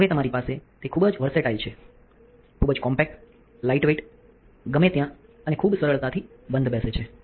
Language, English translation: Gujarati, Now, you have it very versatile very compact lightweight fits in anywhere and very easily